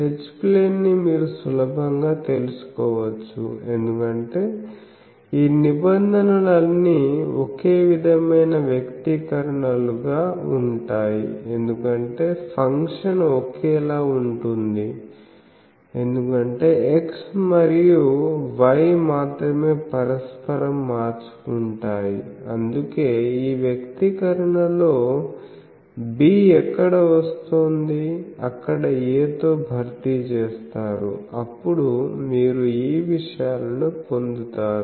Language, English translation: Telugu, So, H plane you can easily find out because same things that the all these terms will be similar expressions because the function is same only the x and y are interchanged that is why in all this expression, where b is coming; you replace it by a, you get the these things